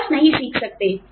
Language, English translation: Hindi, You just cannot, not learn